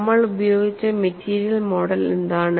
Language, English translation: Malayalam, And what is the material model that we have used